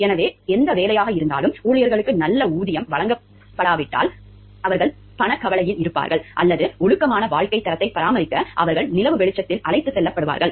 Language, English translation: Tamil, So, if any job, if the employees are not paid well, so they will be left with monetary worries or so they will be taken by moonlighting to maintain a decent standard of living